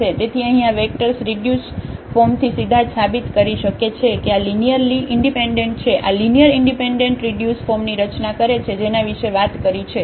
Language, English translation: Gujarati, So, these vectors here one can easily prove directly from the reduced form that these are linearly independent, these are linearly independent that form the reduced form one can talk about this